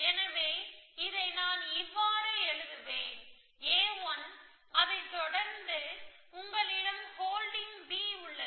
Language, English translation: Tamil, So, I will just write this as a 1 plus the following that you have holding b, you can do something with b